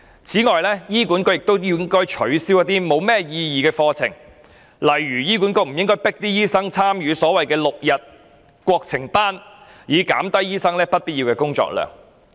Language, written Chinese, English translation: Cantonese, 此外，醫管局亦應該取消一些毫無意義的課程，例如不應強迫醫生參與所謂的 "6 天國情班"，以減低醫生不必要的工作量。, Besides HA should also abolish those pointless courses . One example is that it should not require doctors to participate in those six - day national affair courses so as to reduce doctors workload resulting from unnecessary tasks